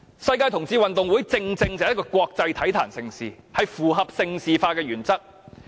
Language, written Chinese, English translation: Cantonese, 世界同志運動會正正是國際體壇盛事，符合盛事化的原則。, The Gay Games is exactly a major international sports event that fits Governments own advocacy